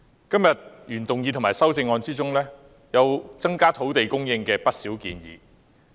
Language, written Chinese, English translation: Cantonese, 今天的原議案和修正案就增加土地供應提出不少建議。, Many proposals on increasing land supply are made in the original motion and amendments today